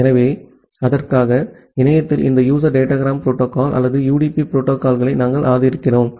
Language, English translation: Tamil, So, for that we support this user datagram protocol or UDP protocol in the internet